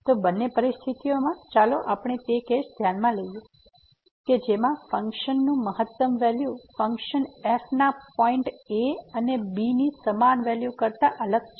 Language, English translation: Gujarati, So, in either situation let us consider the case we suppose that the maximum value of the function is different from the equal values of at and which are the same here